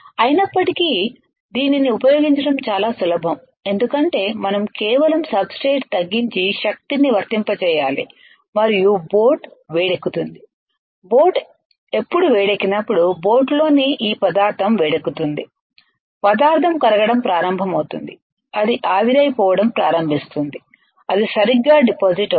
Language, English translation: Telugu, However, this is very simple to use it because we have to just lower the substrate and apply the power and boat will get heated up, when boat will get heated up, this of the material within the boat gets heated up, the material starts melting then it starts evaporating it will get deposited super simple to operate right; however, there are some of the drawbacks